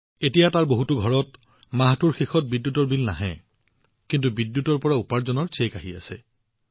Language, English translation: Assamese, Now in many houses there, there is no electricity bill at the end of the month; instead, a check from the electricity income is being generated